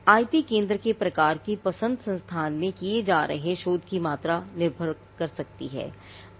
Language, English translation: Hindi, Now, the choice of the type of IP centre can depend on the amount of research that is being done in the institute